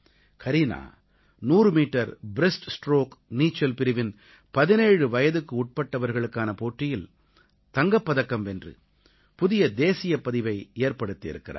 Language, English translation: Tamil, Kareena competed in the 100 metre breaststroke event in swimming, won the gold medal in the Under17 category and also set a new national record